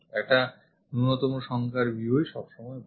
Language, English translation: Bengali, Minimum number of views is always be good